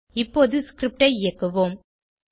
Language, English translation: Tamil, Now let us execute the script